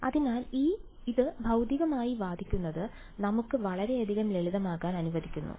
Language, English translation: Malayalam, So, just arguing this physically allows us a lot of simplification